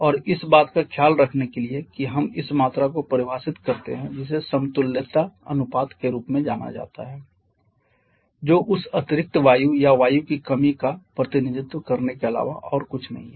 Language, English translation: Hindi, And to take care of that we define this quantity which is known as the equivalence ratio which is nothing but another way of representing that excess air or deficiency of air